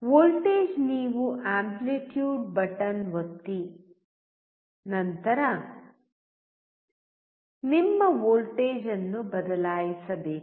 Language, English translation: Kannada, Voltage you have to press the amplitude button and then change your voltage